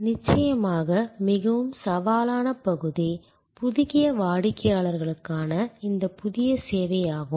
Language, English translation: Tamil, The very challenging area of course, is this new service for new customers